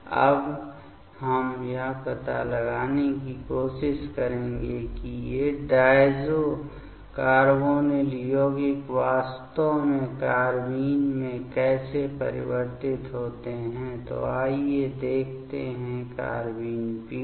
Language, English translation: Hindi, Now, we will try to find out how these diazo carbonyl compounds actually convert into carbene ok; so let us see the carbene generation ok